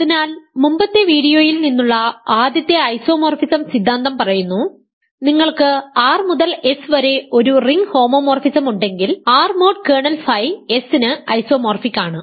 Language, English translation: Malayalam, So, first isomorphism theorem says from the previous video if you have a ring homomorphism R to S, R mod kernel phi is isomorphic to S; however, remember this must be onto ok